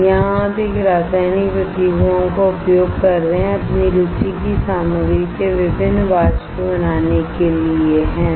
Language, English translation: Hindi, In here you are using a chemical reactions to form a different vapors of the materials of your interest, right